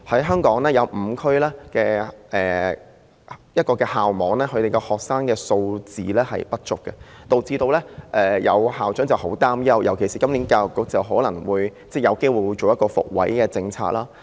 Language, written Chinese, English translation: Cantonese, 香港有5個校區學生人數不足，導致有校長很擔憂，尤其是教育局今年可能有機會推行"復位"政策。, In Hong Kong there are five school districts with under - enrolment thus causing much worries of some school principals particularly when the Education Bureau might have the chance to introduce the place reinstating policy this year